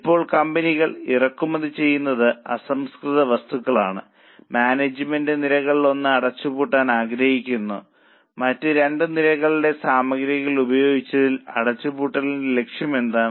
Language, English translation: Malayalam, Now, the company imports its raw material and the management is planning to close down one of the lines of products and utilize the material for the other two lines for improving the profitability